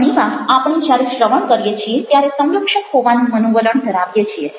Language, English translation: Gujarati, now, very often, when we are listening, there is a tendency to be defensive